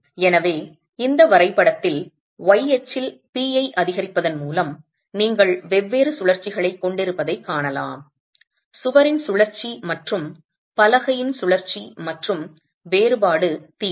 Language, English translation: Tamil, So in this graph you can see with increasing p on the y axis, you have the different rotations, the rotation of the wall, the rotation of the slab and the difference theta